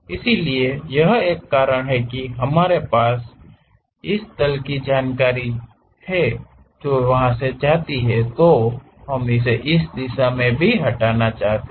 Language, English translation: Hindi, So, that is a reason we have this plane information which goes and we want to remove it in this direction also